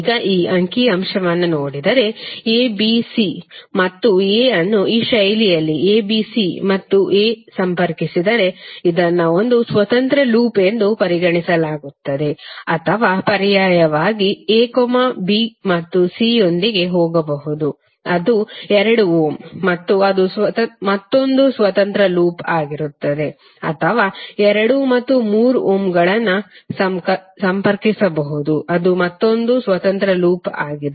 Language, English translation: Kannada, Now if you see this figure if you connect a, b, c and a in this fashion a, b, c and a this will be considered one independent loop or alternatively you can go with a, b and c which is through two ohm and then a that will be another independent loop or you can have two and three ohm connected that is also another independent loop